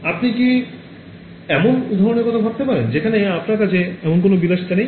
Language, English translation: Bengali, Can you think of an example where you do not even have that luxury